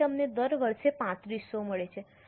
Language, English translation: Gujarati, So, you are getting 3,500 per year